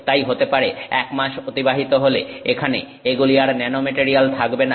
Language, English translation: Bengali, So, maybe one month down the road the material will no longer be a nanomaterial